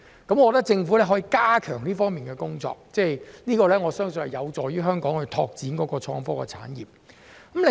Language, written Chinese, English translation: Cantonese, 我覺得，政府可以加強這方面的工作，而我亦相信這會有助香港拓展創新科技產業。, In my view the Government can step up its work in this regard and I also believe that this will facilitate the development of Hong Kongs IT industry